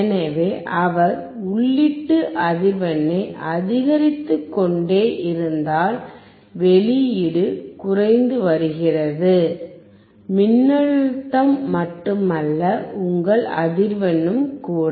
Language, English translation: Tamil, So, if he keeps on increasing the input frequency, the output is decreasing, not only voltage, but also your frequency